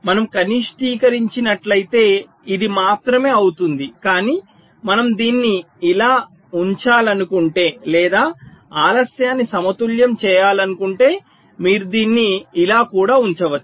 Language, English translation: Telugu, if we minimize, this will be only a bar, but if we want to keep it like this, or balancing the delays, you can keep it also like this